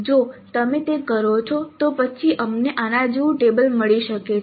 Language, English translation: Gujarati, So if you do that then we may get a table like this